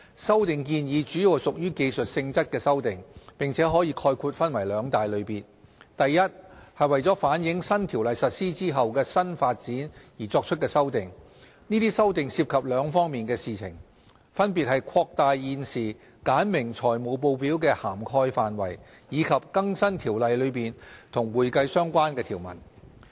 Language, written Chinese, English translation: Cantonese, 修例建議主要屬技術性質的修訂，並可概括分為兩大類別。a 為反映新《條例》實施後的新發展而作出的修訂這些修訂涉及兩方面的事宜，分別是擴大現時簡明財務報表的涵蓋範圍，以及更新《條例》中與會計相關的條文。, The proposed legislative amendments are mainly technical in nature which can be broadly divided into two categories a Amendments to incorporate new developments after the commencement of the new CO There are two sets of amendments under this category namely expanding the scope of the current regime for simplified reporting and updating the accounting - related provisions in the new CO